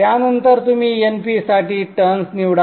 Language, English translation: Marathi, Then afterwards you choose the turns for np